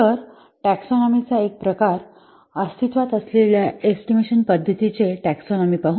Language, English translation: Marathi, So let's see at the one type of taxonomy, a taxonomy of the existing estimation methods